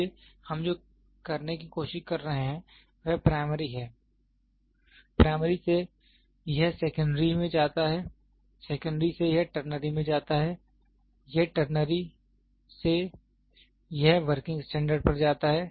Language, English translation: Hindi, So, what we are trying to do is primary, from primary it goes to secondary; from secondary it goes to ternary from ternary it goes to working standard